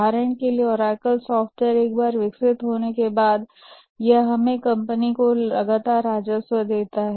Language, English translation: Hindi, For example, Oracle software, once it was developed, it gives a steady revenue to the company